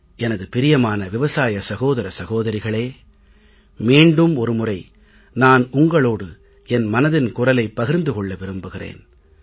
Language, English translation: Tamil, My dear farmer brothers and sisters, today I would again like to especially share my Mann Ki Baat with you